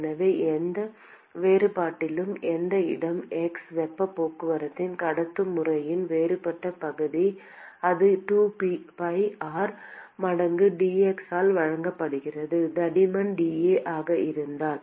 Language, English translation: Tamil, So, at any differential As any location x, the differential area of conductive mode of heat transport it is simply given by 2 pi r times dx if the thickness is dA